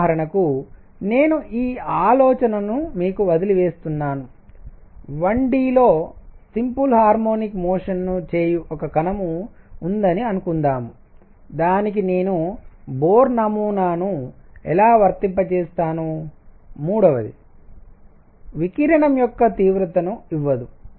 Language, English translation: Telugu, For example, I leave you with this thought, suppose there is a particle that is performing simple harmonic motion in 1 D, how do I apply Bohr model to it, number 3, does not give the intensity of radiation